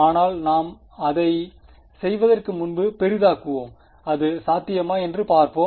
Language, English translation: Tamil, But before we do that let us zoom in and see is it possible